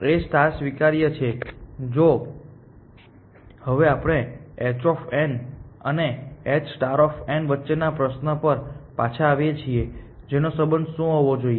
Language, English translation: Gujarati, A star is admissible if now, we come to the same question again the relation between h of n and h star of n what should be the relation